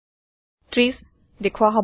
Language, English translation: Assamese, 30 is displayed